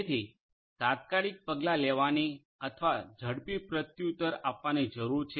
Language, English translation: Gujarati, So, there is a need for immediate action or quicker response